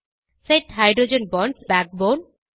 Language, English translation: Tamil, Set Hydrogen Bonds in the Backbone